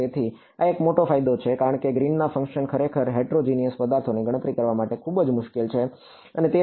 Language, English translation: Gujarati, So, this is one big advantage because green functions are actually very difficult to calculate in heterogeneous objects and so, on